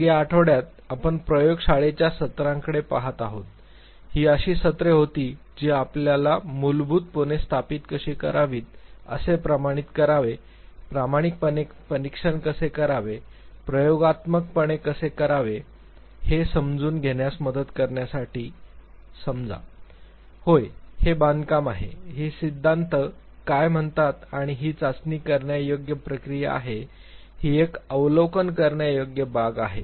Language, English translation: Marathi, Then this week we have been looking at the lab sessions, these were the sessions which were basically suppose to help you understand how to verify, how to quantify, how to empirically examine, how to experimentally ascertain that, yes this is the construct, this is what the theory says and this is testable process, this is an observable thing